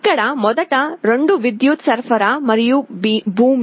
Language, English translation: Telugu, Here, the first two are the power supply and ground